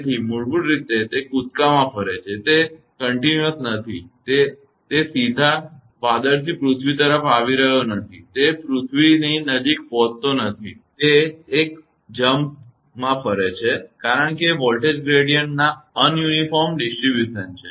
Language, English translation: Gujarati, So, basically it moves in a jump; it is not a continuous that directly it is not coming from the cloud to the earth, it is not reaching near the earth; it moves in a jump because of that are un uniform distribution of the voltage gradient